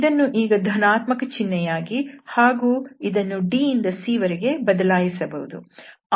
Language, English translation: Kannada, So, we can also now change here plus and then d to c